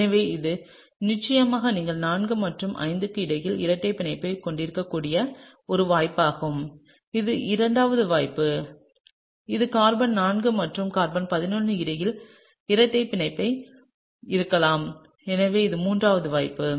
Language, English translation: Tamil, So, this is definitely one possibility you could have a double bond between 4 and 5, right, that’s the second possibility and this could be a double bond between carbon 4 and carbon 11 so, that’s the third possibility